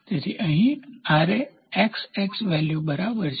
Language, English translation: Gujarati, So, here it can Ra equal to XX value